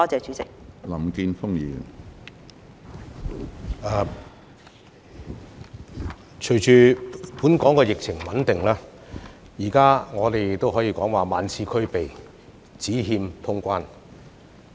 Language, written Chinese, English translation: Cantonese, 隨着本港的疫情穩定下來，現在我們可以說"萬事俱備，只欠通關"。, As the local epidemic situation has stabilized we can now say that everything is ready except the resumption of quarantine - free travel